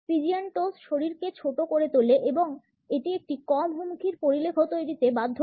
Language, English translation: Bengali, Pigeon toes make the body appear smaller forcing it into a less threatening profile